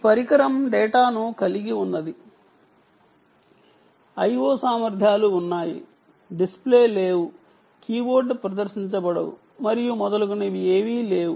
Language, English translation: Telugu, this device is the one that has the data, it is an, it is a, it has i o capabilities which are none: no display, no keyboard and so on and so forth